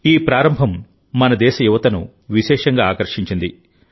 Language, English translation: Telugu, This beginning has especially attracted the youth of our country